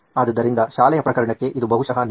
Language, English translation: Kannada, So this is probably true for a school case